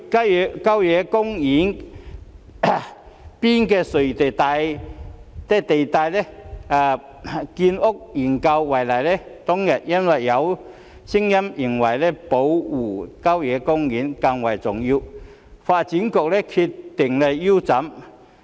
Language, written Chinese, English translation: Cantonese, 以郊野公園邊陲地帶的建屋研究為例，當日因為有聲音認為保護郊野公園更為重要，發展局便決定腰斬研究。, Taking the study on the housing construction on the periphery of country parks as an example as there were voices that protecting country parks was more important back then the Development Bureau decided to end the study halfway